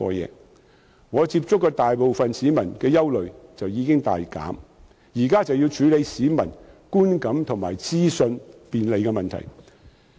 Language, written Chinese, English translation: Cantonese, 因此，我接觸到的大部分市民的憂慮已經大減，現時只須處理市民觀感和資訊便利的問題。, Hence for the majority of the people with whom I have come into contact their worries have been significantly relieved . The only task left is public perception and access to information